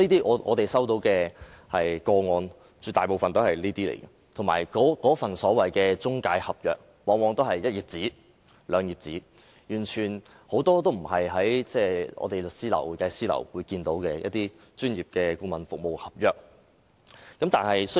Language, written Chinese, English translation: Cantonese, 我們接獲的個案絕大部分屬於這類，而且那份所謂中介合約，往往只是一兩頁紙，完全不是我們在律師樓或會計師樓看到的專業顧問服務合約。, A vast majority of the cases received by us belongs to this type . Moreover the so - called intermediary contract often comprised only one or two pages . It was absolutely not any professional consultancy service contract which we see in a law firm or an accounting firm